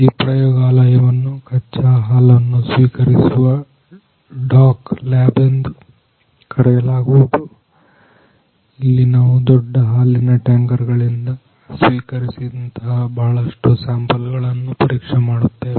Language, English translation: Kannada, So, basically this lab is known as raw milk receiving dock lab, where we are checking the various samples which are received by the bulk milk tankers